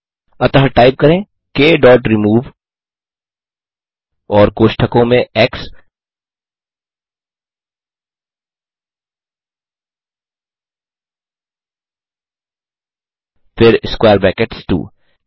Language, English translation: Hindi, So type k dot remove and in brackets x then square brackets 2